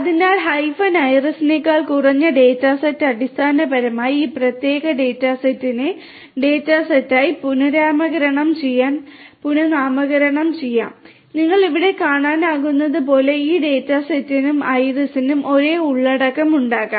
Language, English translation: Malayalam, So, you know data set less than hyphen iris will basically rename this particular data set to data set and as you can see over here so this data set and iris will both have the same contents